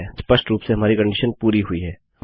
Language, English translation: Hindi, Obviously, our condition has been met